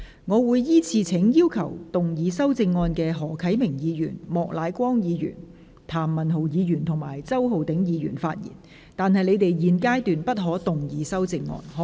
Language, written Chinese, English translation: Cantonese, 我會依次請要動議修正案的何啟明議員、莫乃光議員、譚文豪議員及周浩鼎議員發言，但他們在現階段不可動議修正案。, I will call upon Members who will move the amendments to speak in the following order Mr HO Kai - ming Mr Charles Peter MOK Mr Jeremy TAM and Mr Holden CHOW but they may not move the amendments at this stage